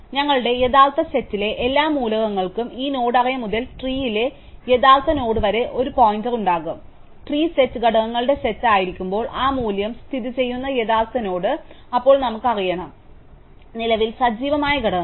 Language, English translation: Malayalam, So, every element in our actual set will have a pointer from this node array to the actual node in the tree, when the set of tree is set of components, the actual node where that value lies, then we need to know which of the components which are currently active